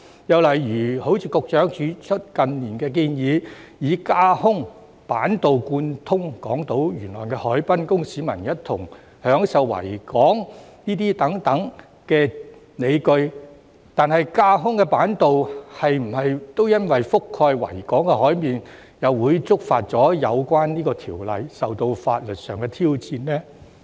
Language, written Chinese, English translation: Cantonese, 又例如局長指出，近年有建議以架空板道貫通港島沿岸海濱，供市民一同享受維港等，但架空板道覆蓋維港海面，又會否觸犯有關條例而受到法律挑戰呢？, Another example as the Secretary has pointed out is the proposal in recent years to build an elevated boardwalk connecting the waterfront on Hong Kong Island for the public to enjoy the Victoria Harbour . However as the elevated boardwalk will cover the surface of the Victoria Harbour will it violate the relevant legislation and be subject to legal challenges?